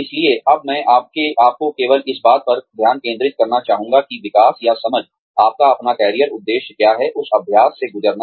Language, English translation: Hindi, So, for now, I would just like you to focus on, developing or understanding, what your own career objective is, going through that exercise